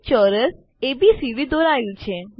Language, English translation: Gujarati, A square ABCD is drawn